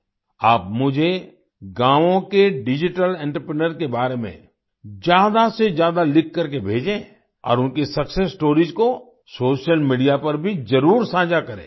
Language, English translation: Hindi, Do write to me as much as you can about the Digital Entrepreneurs of the villages, and also share their success stories on social media